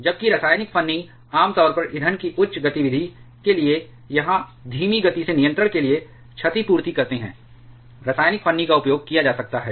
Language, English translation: Hindi, Whereas, chemical shims generally compensate for initially high activity of fuel, or for slow control, chemical shim can be used